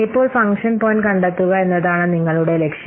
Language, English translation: Malayalam, Now our objective is to find out the function point